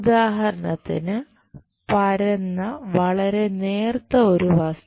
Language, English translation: Malayalam, For example, a very flat thin part